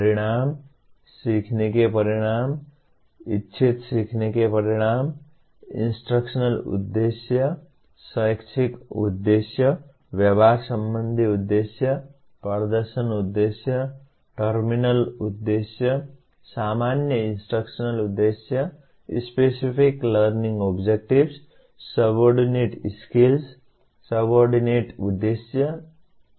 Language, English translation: Hindi, Outcomes, learning outcomes, intended learning outcomes, instructional objectives, educational objectives, behavioral objectives, performance objectives, terminal objectives, general instructional objectives, specific learning outcomes, subordinate skills, subordinate objectives, competencies